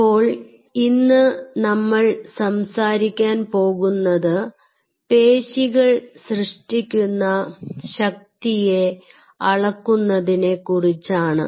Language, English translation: Malayalam, ok, so what we are trying to do today is measuring the force generated by muscle